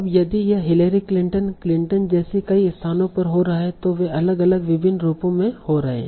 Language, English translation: Hindi, Now if it is occurring at multiple places, like Larry Clinton, so they are occurring at different different variations